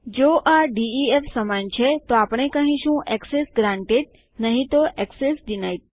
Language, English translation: Gujarati, If this equals def, were going to say Access granted else Access denied